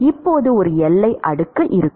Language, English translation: Tamil, So, this is the boundary layer